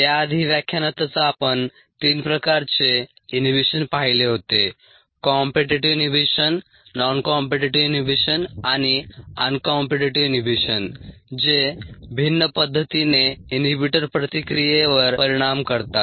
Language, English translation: Marathi, before that, in the lecture itself, we had looked at three type of inhibitions ah: the competitive inhibition, the non competitive inhibition and the uncompetitive inhibition, which were ah different in the way the inhibitor effects, the reaction in the